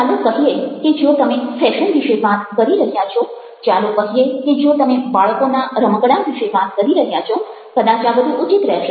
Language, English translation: Gujarati, if you are talking about, let say, if you are talking about, let say, baby toys, may be, this would be more appropriate